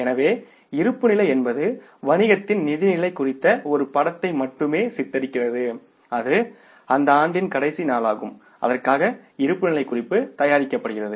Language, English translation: Tamil, So, balance sheet depicts a picture of the financial position of the business for only one day and that is the last day of that period for which the balance sheet is being prepared